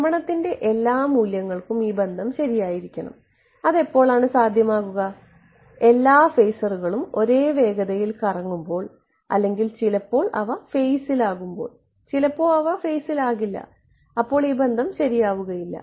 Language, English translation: Malayalam, And this relation should be true for all values of rotation, when will that be possible, when all the phasors are rotating at the same speed otherwise sometimes they will be in phase, sometimes they will not be in phase and this relation will not be true